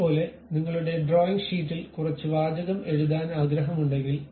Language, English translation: Malayalam, Similarly, you would like to write some text on your drawing sheet